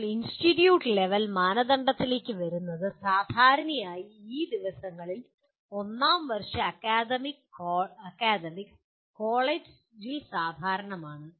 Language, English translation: Malayalam, And now coming to institute level criteria, generally these days first year academics is kind of common across the college